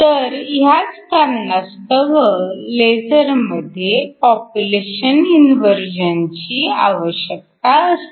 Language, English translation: Marathi, For laser primary thing we need is population inversion